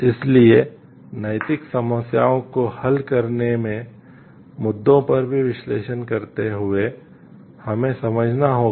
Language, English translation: Hindi, So, while analyzing even issues of solving ethical problems so, we have to understand